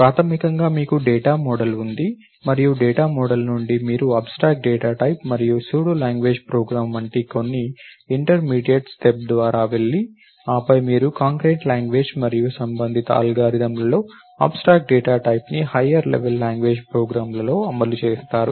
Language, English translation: Telugu, So, basically you have a data model and from the data model you go through some intermediate step which is like a abstract data type and a pseudo language program and then you do the implementation of the abstract data type in a concrete language and the corresponding algorithms become higher level language programs